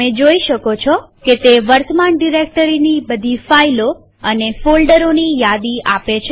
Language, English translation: Gujarati, You can see it lists all the files and folders in the current directory